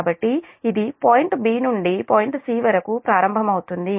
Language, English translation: Telugu, so this, this will start from point b to point c